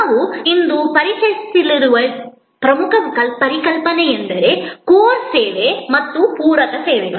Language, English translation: Kannada, The important concept that we will introduce today is this concept of Core Service and Supplementary Services